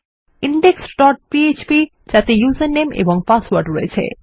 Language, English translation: Bengali, index dot php with a user name and password